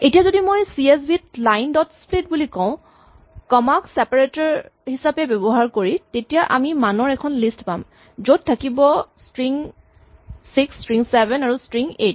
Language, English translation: Assamese, Now if I say CSV line dot split using comma as a separator and then I get a list of values the string 6, the string 7, the string 8